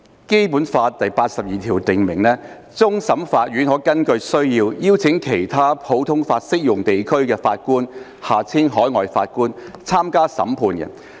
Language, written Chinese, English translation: Cantonese, 《基本法》第八十二條訂明，終審法院可根據需要，邀請其他普通法適用地區的法官參加審判。, Article 82 of the Basic Law stipulates that the Court of Final Appeal CFA may as required invite judges from other common law jurisdictions to sit on CFA